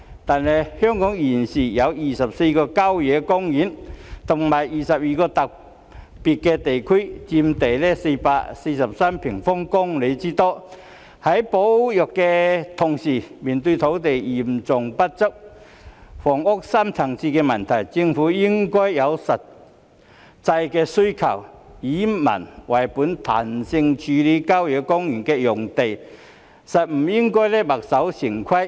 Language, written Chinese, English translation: Cantonese, 但是，香港現時有24個郊野公園和22個特別地區，佔地443平方公里之多，在保育的同時，面對土地嚴重不足，房屋深層次的問題，政府應該因應實際的需求，以民為本，彈性處理郊野公園用地，不應該墨守成規。, However at present there are 24 country parks and 22 special areas in Hong Kong accounting for an area of 443 sq km . In view of the need for conservation and the deep - seated problem of land and housing shortage the Government should flexibly handle the country park areas in the light of the actual demand in a people - oriented manner and should not stick to established practice